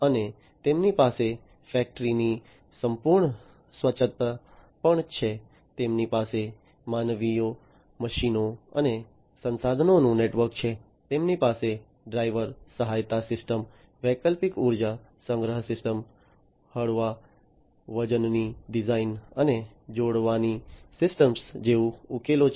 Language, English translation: Gujarati, And they also have the full autonomy of factory, they have a network of humans, machines and resources, they have solutions like driver assistance system, alternative energy storage system, lightweight design, and joining system